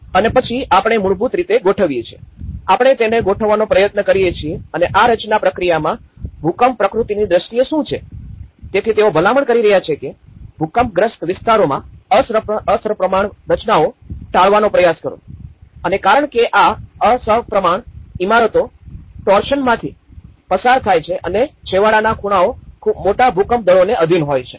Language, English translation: Gujarati, And then we compose basically, what we try to do is we compose and in this composition process what in terms of the earthquake nature is concerned so, they are recommending that try to avoid the asymmetrical compositions in an earthquake prone areas and because these asymmetric buildings undergo torsion and extreme corners are subject to very large earthquake forces